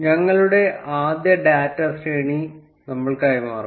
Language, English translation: Malayalam, We will pass our first data array